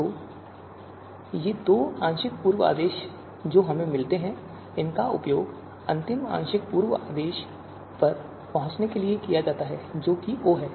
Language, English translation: Hindi, So these two you know partial pre order that we that will get, they are then used to arrive at the final partial pre order, that is capital O